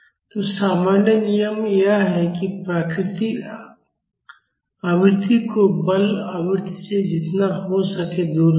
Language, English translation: Hindi, So, the general rule is that keep the natural frequency away from the forcing frequency as much as we can